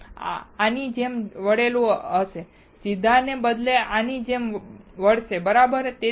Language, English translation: Gujarati, It will be bent like this, instead of straight it will bend like this right